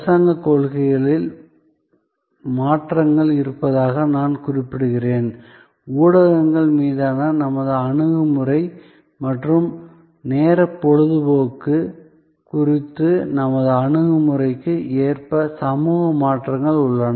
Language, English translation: Tamil, So, I mention that there are changes in government policies, there are social changes with respect to our attitude towards media, with respect to our attitude towards time entertainment